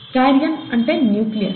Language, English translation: Telugu, Karyon is the word for nucleus